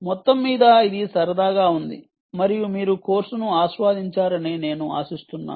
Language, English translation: Telugu, overall, its being fun and i hope you enjoyed the course